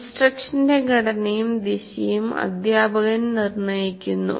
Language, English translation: Malayalam, But teacher determines the structure and direction of instructional conversations